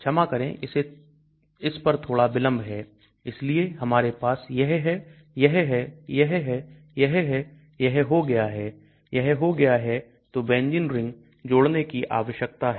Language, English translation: Hindi, Sorry little bit delays on that so we have this, this, this, this done, this done so we need to add a benzene ring